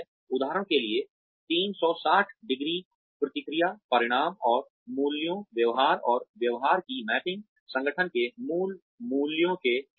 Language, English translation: Hindi, For example, 360ø feedback, results, and mapping of values, attitudes and behaviors, against core values of the organization